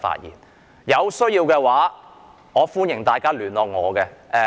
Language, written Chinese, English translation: Cantonese, 如有需要，歡迎大家聯絡我。, People who are in need can contact me